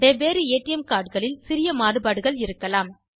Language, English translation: Tamil, There could be minor variations in different ATM cards